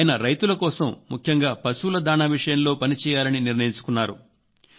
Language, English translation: Telugu, He has made up his mind to work for the farmers, especially the animal feed